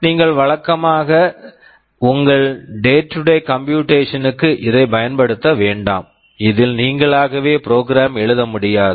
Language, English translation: Tamil, You normally do not use it for your day to day computation, you cannot program it yourself